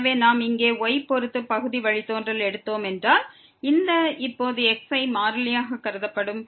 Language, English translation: Tamil, So, if we take the partial derivative with respect to here, then this is now will be treated as constants